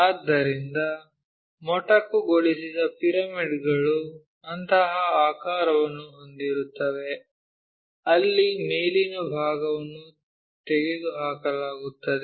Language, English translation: Kannada, So, truncated pyramids have such kind of shape where the top portion is removed